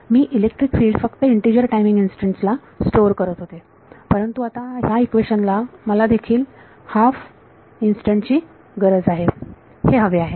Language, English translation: Marathi, I was storing electric field only at integer time instance, but now this equation is requiring that I also needed at half a time instant